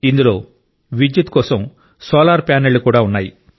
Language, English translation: Telugu, It has solar panels too for electricity